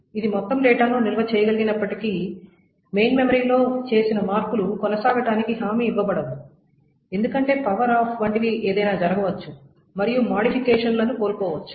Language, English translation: Telugu, Even if it is able to store the entire data, the changes that are made in the main memory are not guaranteed to be persisted because anything such as power of can happen and the updates can be lost